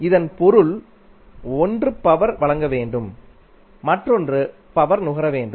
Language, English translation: Tamil, It means 1 should supply the power other should consume the power